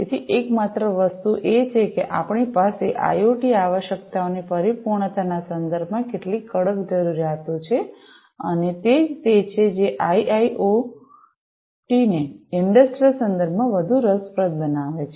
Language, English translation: Gujarati, So, the only thing is that we have some stringent requirements with respect to the fulfilment of IoT requirements and that is what makes IIoT much more interesting in the industrial context